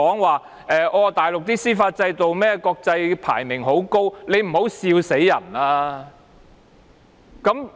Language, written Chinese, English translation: Cantonese, 還說大陸的司法制度的國際排名十分高，請不要笑壞人。, It was even said that the international ranking of the Mainlands judicial system is very high . This is really the ultimate joke